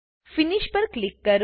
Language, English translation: Gujarati, Click on Finish